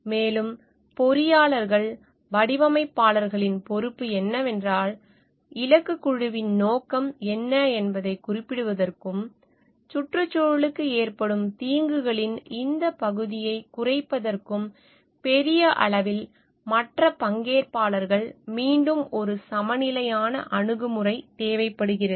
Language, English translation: Tamil, And then what is the responsibility of the engineers designers for making it specific for the target group for what it is intended to and minimizing this part of the harm that is caused to the environment at large and other stakeholders is were again a balanced approach is required